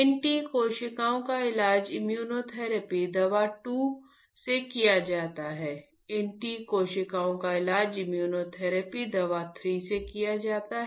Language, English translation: Hindi, These T cells are treated with immunotherapy drug 2, these T cells are treated with immunotherapy drug 3 ok